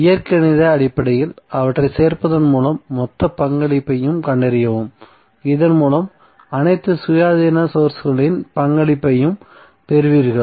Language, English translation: Tamil, Then find the total contribution by adding them algebraically so that you get the contribution of all the independent sources